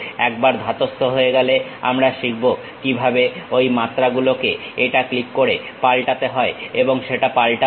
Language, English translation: Bengali, Once we are acclimatized we will learn how to change those dimensions by clicking it and change that